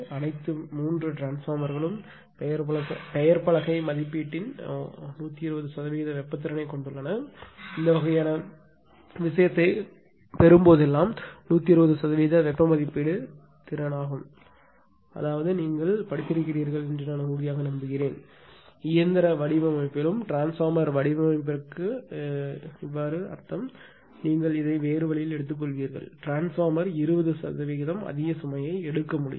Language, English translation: Tamil, All 3 transformers have a thermal capability of 120 percent of the nameplate rating capacitor, that is that whenever the gain this kind of thing that 120 percent of the thermal rating thermal capability; that means, you will concentrate this way that I I am sure that you have studied in machine design also for transformer design the meaning is you take it other way this transformer can take overload of 20 percent more than that right